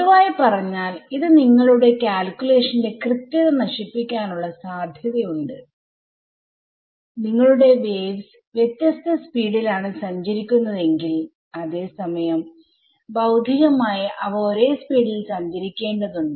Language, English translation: Malayalam, So, a what we will look so, that in general that tends to destroy the accuracy of your calculation, if your waves are travelling at different speeds whereas physically they should travel at the same speed then that is what is called numerical dispersion